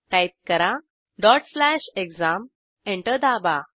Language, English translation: Marathi, Type ./ exam Press Enter